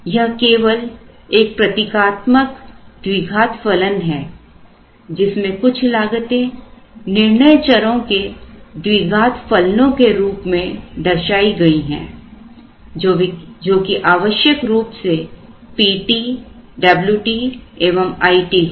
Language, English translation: Hindi, This is only a representative quadratic function where some of these costs are shown as quadratic functions of the decision variables which are essentially P t, W t and I t